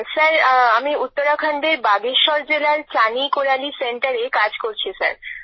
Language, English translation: Bengali, Sir, I work at the Chaani Koraali Centre in Bageshwar District, Uttarakhand